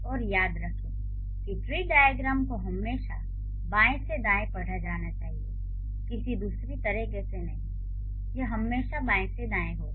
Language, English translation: Hindi, And remember the tree diagram should also should always be read from the left to right, not the other way around